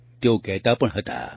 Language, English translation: Gujarati, She also used to say